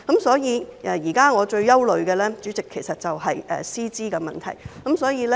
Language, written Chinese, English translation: Cantonese, 所以，主席，我現時最憂慮的就是師資的問題。, Therefore President what I am most concerned about now is the issue of teacher qualifications